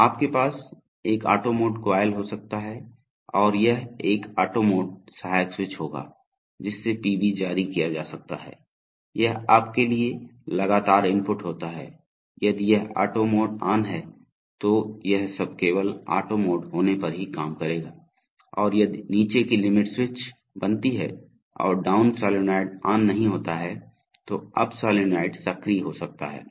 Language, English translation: Hindi, So, you can have a auto mode coil and this will be an auto mode auxiliary switch, so that the PB can be released, so this is the sort of you know persistent input, so if this auto mode is on, so it says that this, all the everything will work only if the auto mode is on, and then if the bottom limit switch is made and the down solenoid is not on, then the up solenoid can, will be energized